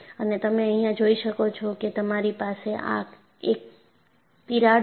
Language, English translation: Gujarati, And can you see here, I have this as a crack